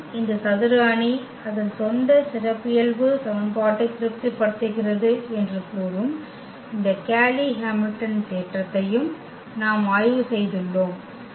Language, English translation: Tamil, And, we have also studied this Cayley Hamilton theorem which says that every square matrix satisfy its own characteristic equation